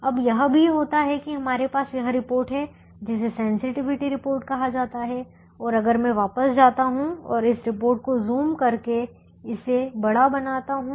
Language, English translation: Hindi, now what also happens is we have this report called sensitivity report and if i go back and zoom this report and make it bigger now, it shows a few things